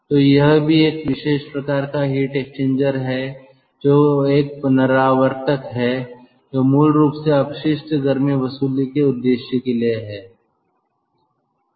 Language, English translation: Hindi, so this is also one ah special kind of heat exchanger which is a recuperator, basically a recuperator for waste heat recovery purpose